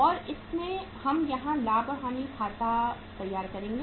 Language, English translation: Hindi, And in this uh we will prepare the profit and loss account here